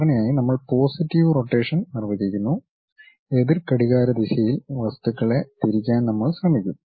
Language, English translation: Malayalam, Usually we define positive rotation, something like in counterclockwise direction we will try to rotate the objects